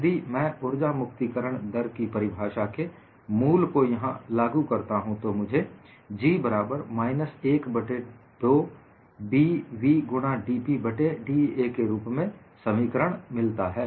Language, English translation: Hindi, If I apply the basic definition of energy release rate, I get the expression as G equal to minus 1 by 2B v times dP by da